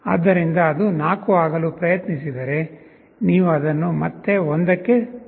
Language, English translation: Kannada, So, if it tries to become 4, you again bring it back to 1